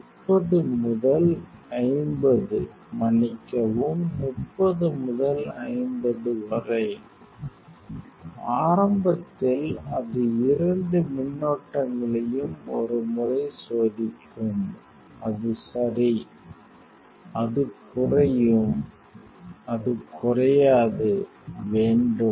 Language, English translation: Tamil, 30 to 50 sorry, 30 to 50; initially it will test both currents for melting once it will melt yeah it will come down, means it will not come down, you have to